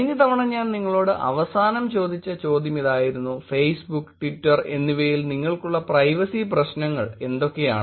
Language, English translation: Malayalam, Last time I left you with the question saying; what are the kind of privacy issues that you have on Facebook, Twitter